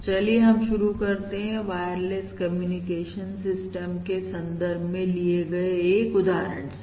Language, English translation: Hindi, So let us start with a simple example in the context of wireless communication system